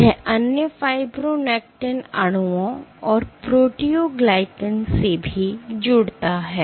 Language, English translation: Hindi, It also binds to other fibronectin molecules and proteoglycans ok